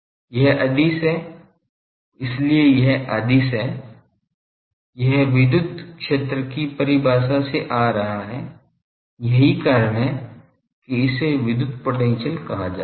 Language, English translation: Hindi, This is scalar that is why it is scalar; it is coming from the definition of electric field that is why electric potential